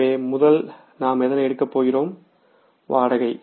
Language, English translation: Tamil, So, what is the first item is rent